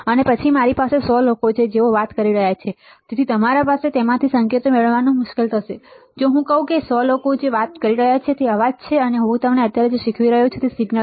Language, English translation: Gujarati, And then there are there are 100 people around me who are talking, so it is it is difficult for you to retrieve the signals from, if I say that the 100 people talking is a noise, and what I am teaching you right now is a signal